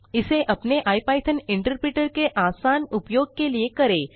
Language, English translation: Hindi, Let us do it in our IPython interpreter for ease of use